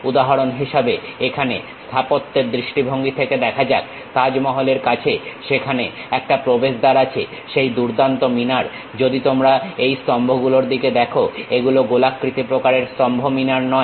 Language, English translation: Bengali, For example, here let us look at for architecture point of view, near Taj Mahal, there is an entrance gate the great tower, if you are looking at these columns these are not rounded kind of column towers